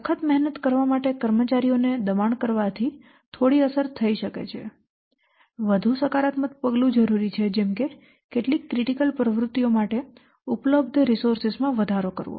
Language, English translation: Gujarati, So, exacting staff to work harder might have some effect, although frequently a more positive form of action is required, such as increasing the resources available for some critical activity